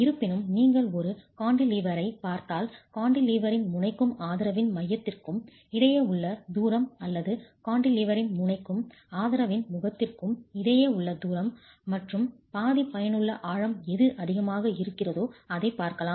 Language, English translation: Tamil, However, if you are looking at a cantilever, you can look at the distance between the end of the cantilever and the center of the support or the distance between the end of the cantilever and the face of the support plus half the effective depth whichever is greater